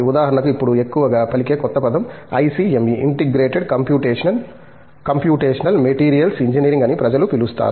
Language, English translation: Telugu, For example, the new buzzword now is called ICME; Integrated Computational Materials Engineering the people call it as